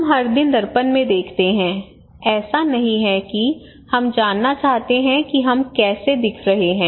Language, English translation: Hindi, So we look into the mirror every time every day it is not that we want to know that how I am looking good